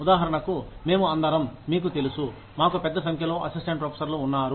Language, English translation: Telugu, For example, we are all, you know, we have a large number of assistant professors